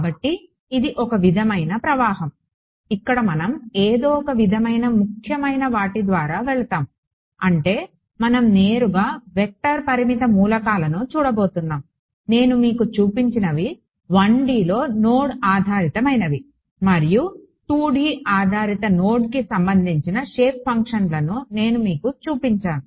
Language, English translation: Telugu, So, this is the sort of flow that we will go through something sort of significant over here is we are going to directly look at vector finite elements; what I have shown you so for are node based in 1D and I have showed you the shape functions for node based in 2D ok